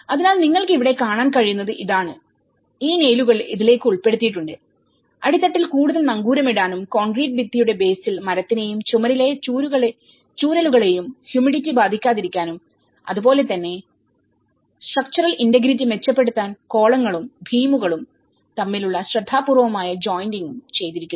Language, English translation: Malayalam, So, this is what you can see here and these nails have been embedded into this, at the base to give extra anchorage and use of concrete wall basis to prevent humidity affecting the wood and the canes in the walls and similarly, careful jointing between the columns and beams to improve structural integrity